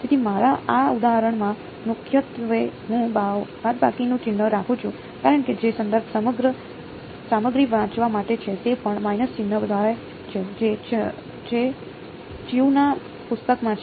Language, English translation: Gujarati, So, my primarily in this example, I am keeping the minus sign because the reference material which is there for reading they also assume a minus sign which is in chose book